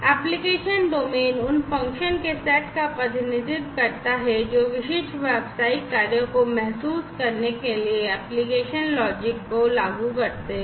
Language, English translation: Hindi, The application domain represents the set of functions which implement the application logic to realize the specific business functions